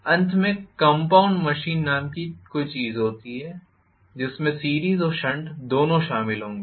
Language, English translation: Hindi, Finally there is something called compound machine which will include both series and shunt